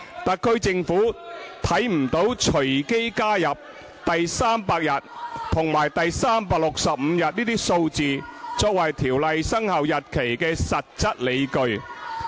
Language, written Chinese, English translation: Cantonese, 特區政府看不到隨機加入第300日和第365日這些數字作為條例生效日期的實質理據。, The Special Administrative Region SAR Government does not see any substantive ground for introducing such arbitrary figures as the 300 day and the 365 day as the commencement dates of the Ordinance